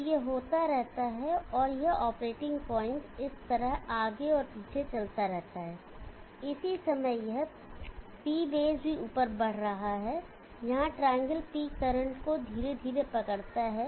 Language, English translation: Hindi, So it moves to the left so it keeps on happening and this operating point keeps moving back and forth like this same time this P base here is also moving up triangle catch up with P current slowly